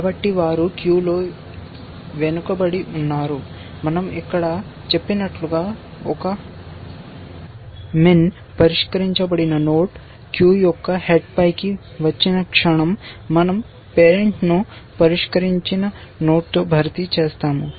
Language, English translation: Telugu, So, they are behind in the queue, the moment a min solved node comes into the head of the queue as we have said here, we just replace the parent with the solved node